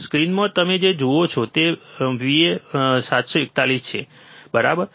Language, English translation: Gujarati, In the screen what you see there is a uA741, right